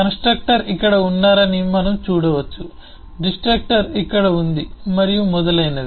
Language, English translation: Telugu, we can see the, the, the constructor is here, the destructor is here and so on